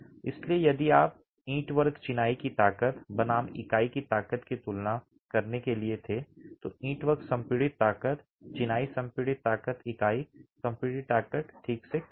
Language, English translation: Hindi, So, if you were to compare the strength of the brickwork masonry versus the strength of the unit itself, the brickwork compressive strength, masonry compressive strength, is lower than the unit compressive strength